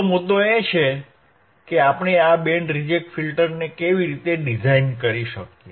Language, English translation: Gujarati, So, the point is how we can design this band reject filter